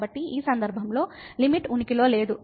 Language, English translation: Telugu, So, in this case the limit does not exist